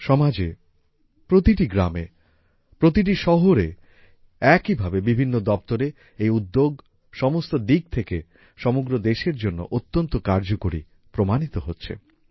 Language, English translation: Bengali, In the society as well as in the villages, cities and even in the offices; even for the country, this campaign is proving useful in every way